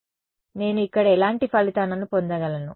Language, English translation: Telugu, So, what kind of results do I get over here